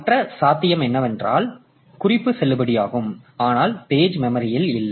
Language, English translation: Tamil, Other possibility is that the reference is valid but the page is not present in the memory